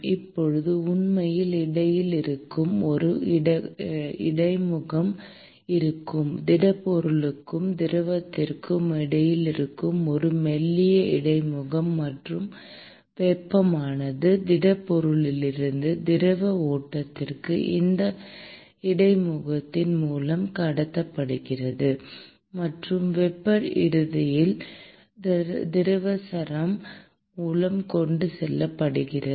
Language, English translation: Tamil, And now, there will be an interface which is actually present between a thin interface which is present between the solid and the fluid and the heat is transported from the solid to the fluid stream through this interface; and the heat is eventually carried by the fluid string